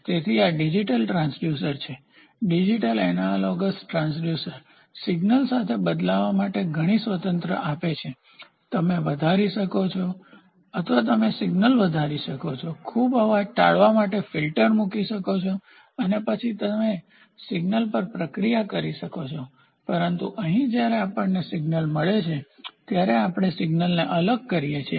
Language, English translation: Gujarati, So, these are digital transducers digital analogous transducer gives lot of freedom to play with the signal, you can you can enhance or you can enhance the signal put filters get to avoid lot of noise and then you can process the signal, but whereas, here when we get the signal itself we discretize the signal